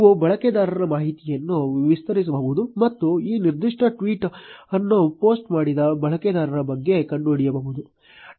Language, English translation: Kannada, You can expand the user information and find out about the user, which has posted this particular tweet